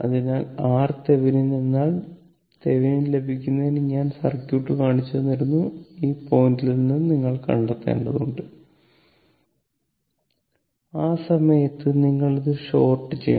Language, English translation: Malayalam, So, R Thevenin means your for getting Thevenin I showed you the circuit, this is for looking from this point you have to find out